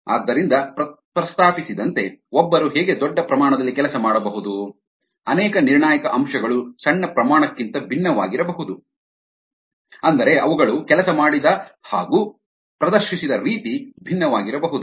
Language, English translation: Kannada, so, as mentioned, how can one make them work at large scale when many crucial aspects to be different from the small scale where they were made to work or where they were demonstrated to work